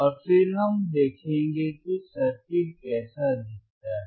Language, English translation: Hindi, And then we will see how the circuit looks